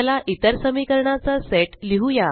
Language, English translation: Marathi, Let us write another set of equations